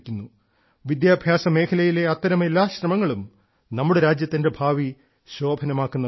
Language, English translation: Malayalam, Every such effort in the field of education is going to shape the future of our country